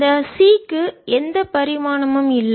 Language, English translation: Tamil, the c has no dimension